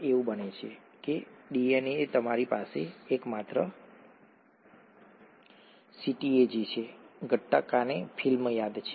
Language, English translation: Gujarati, It’s so happens that in DNA you have a only CTAG, okay Gattaca remember